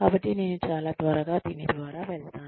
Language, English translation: Telugu, So, I will go through this, very very quickly